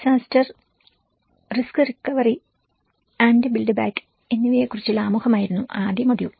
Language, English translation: Malayalam, The first module was about introduction to disaster risk recovery and the build back better